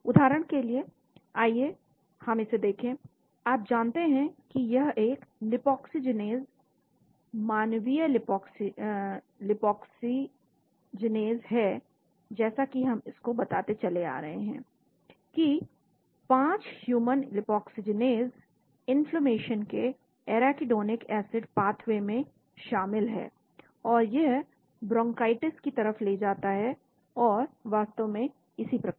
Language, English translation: Hindi, Let us for example look at this, you know this is a lipoxygenase, human lipoxygenase , as we have been telling this, 5 human lipoxygenase is involved in the arachidonic pathway of the inflammation, and it leads to bronchitis and so on actually